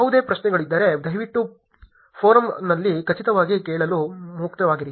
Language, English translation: Kannada, If there is any question please feel free to ask in the forum for sure